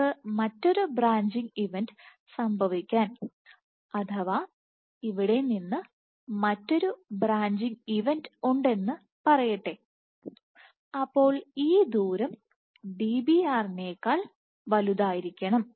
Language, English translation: Malayalam, So, you can have for another branching event to occur let say you have another branching event occurring from here then this distance this distance d has to be greater than Dbr